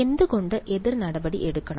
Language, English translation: Malayalam, Why does have to counter act